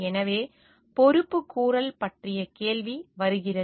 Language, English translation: Tamil, So, there comes the question of accountability